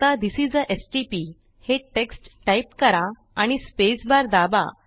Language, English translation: Marathi, Now as soon as we write the text This is a stp and press the spacebar